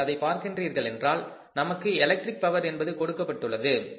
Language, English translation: Tamil, If you look at this we are given the electric power